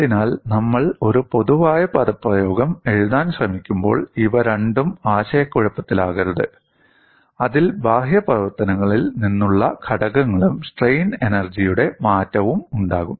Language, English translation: Malayalam, So, you should not confuse these two when we are trying to write a generic expression which will have components from external work done as well as change in strain energy